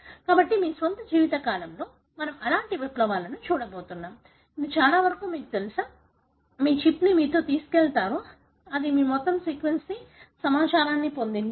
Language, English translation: Telugu, So, may be in your own life time we are going to see such kind of revolution, which pretty much, you know, you will carry your chip with you which has got all your sequence information